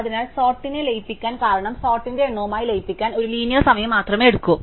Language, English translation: Malayalam, So, merge sort because it only take as a linear time to merge sort with count